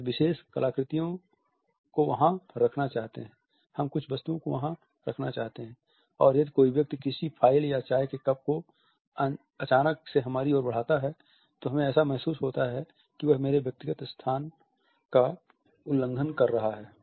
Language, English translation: Hindi, We want to put certain artifacts there, we want to put certain objects there and if somebody pushes a file or a cup of tea suddenly across the table towards us we feel violated